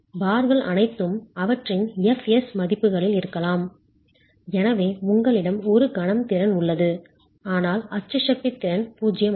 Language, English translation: Tamil, Bars are all possibly at their fs values and so you have a moment capacity but axial force capacity is zero